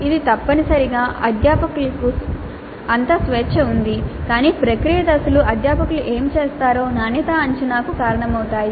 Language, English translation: Telugu, It is essentially faculty has all the freedom but the process steps ensure that what the faculty does results in quality assessment